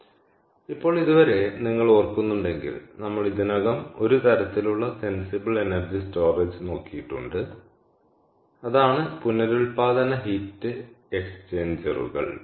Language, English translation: Malayalam, all right, so now, so far, if you ah remember, we have already been exposed to one form of sensible energy storage and that is regenerative heat exchangers